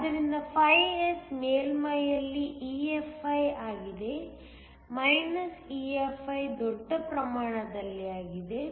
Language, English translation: Kannada, So, φS is EFi at the surface EFi in the bulk